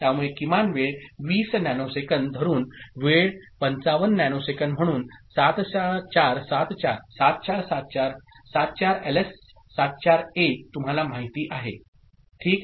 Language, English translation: Marathi, So, minimum time 20 nanosecond, hold time is you know, 55 nanoseconds so 7474, 74LS74A ok